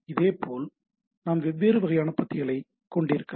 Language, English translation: Tamil, Similarly, we can have different type of paragraphs also